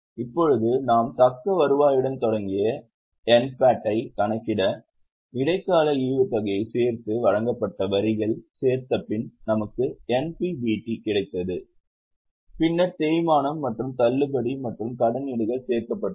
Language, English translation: Tamil, Now to calculate NPAT we started with retained earnings, add interim dividend, add taxes provided, we got NPBT, then depreciation and discount and debentures was added